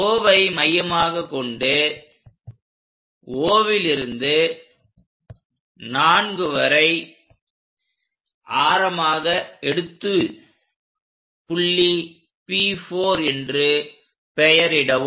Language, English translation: Tamil, With O as center 4 as radius O to 4 make an arc here to name it P4 point